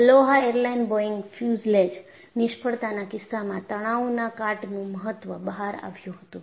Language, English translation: Gujarati, Earlier, in the case of Aloha Airline Boeing fuselage Failure, it brought out the importance of stress corrosion